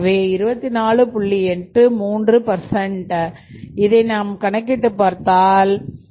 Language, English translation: Tamil, 83 percent so your loss is 24